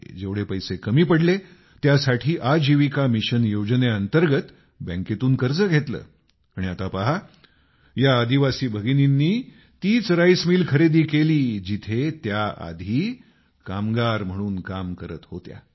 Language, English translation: Marathi, Whatever amount of money was short, was sourced under the aegis of Ajivika mission in the form of a loan from the bank, and, now see, these tribal sisters bought the same rice mill in which they once worked